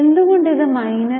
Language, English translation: Malayalam, Why it is minus